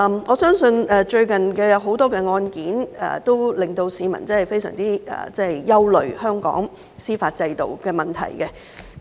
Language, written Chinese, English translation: Cantonese, 我相信最近有很多案件，均令市民對香港司法制度的問題感到非常憂慮。, I believe that recently many cases have caused the public grave concern about the problems of Hong Kongs judicial system